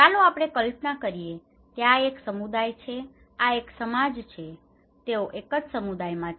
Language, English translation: Gujarati, Let us imagine that this is a community okay, this is a society, this in entirely a one community